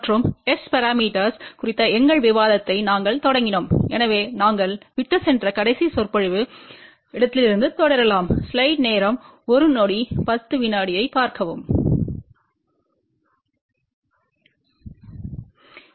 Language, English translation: Tamil, And we had started our discussion on S parameters so let us continue from where we left in the last lecture